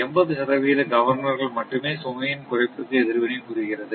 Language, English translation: Tamil, Only 80 percent of the governors respond to the reduction in system load right